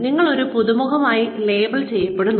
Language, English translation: Malayalam, You are labelled as a newcomer